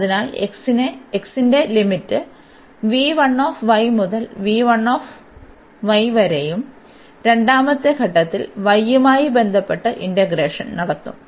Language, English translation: Malayalam, So, the limit of x will be from v 1 y to v 2 y and then in the second step we will do the integration with respect to y